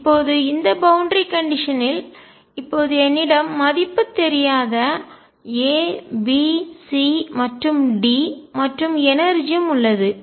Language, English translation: Tamil, Now, the boundary condition I have now unknowns A B C and D and the energy itself